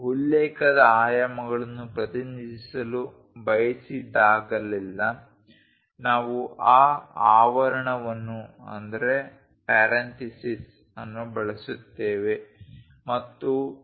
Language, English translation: Kannada, Whenever, we would like to represents reference dimensions we use that parenthesis and 2